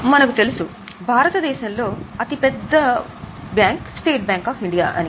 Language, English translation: Telugu, We know the largest bank in India is State Bank of India